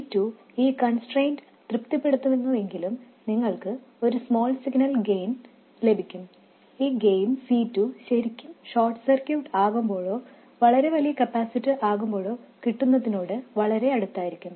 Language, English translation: Malayalam, If C2 satisfies this constraint, then you will get a certain small signal gain and it will be very close to what you would have got if C2 were really a short circuit or it is an infinitely large capacitor